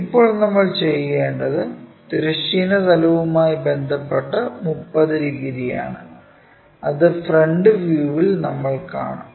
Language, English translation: Malayalam, Now, what we have to do is 30 degrees with respect to horizontal plane, which we will see it in the front view